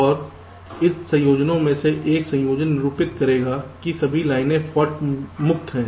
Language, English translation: Hindi, out of this combinations, one combination will denote all lines are fault free